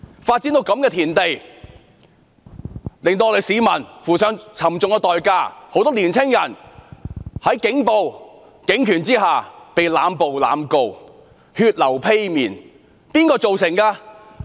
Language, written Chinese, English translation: Cantonese, 事態發展至這地步，市民付上沉重代價，很多青年人在警暴及警權下被濫捕和濫告，他們血流披面是誰造成的？, When the situation has come to this pass the public paid a high price . Many young people were arrested and prosecuted indiscriminately falling prey to police violence and power abuse . Who were guilty of the bloodshed?